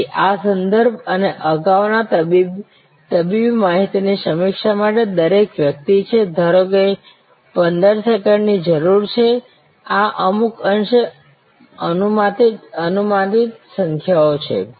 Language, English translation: Gujarati, So, each person for this referral and previous medical record review, suppose needs 15 seconds these are somewhat hypothetical numbers